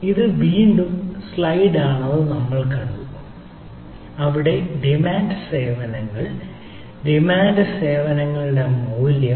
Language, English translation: Malayalam, so ah, we also have seen this is a slide again where there is a ah, on demand services, value of on demand services